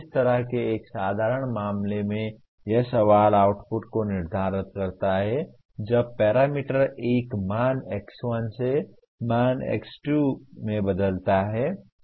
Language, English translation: Hindi, In a simple case like that question is determine the output when the parameter changes from a value x1 to value x2 which is a very simple one